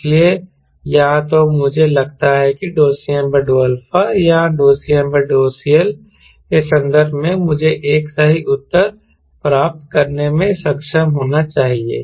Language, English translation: Hindi, so either i think, in terms of d c m by d alpha or d cm by dcl, i should be able to get a right answer